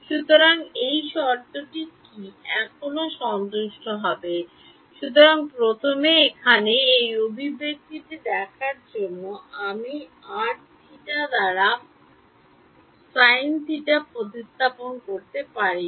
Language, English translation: Bengali, So, will this condition still be satisfied; so, first of all looking at this expression over here I can no longer replace sin theta by theta